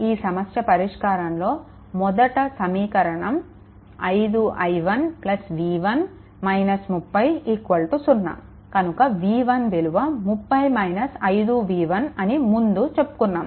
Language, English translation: Telugu, So, once it is done, then what you do that is why first I am writing 5 i 1 v 1 minus 30, so v 1 is equal to 30 minus 5 1, I showed you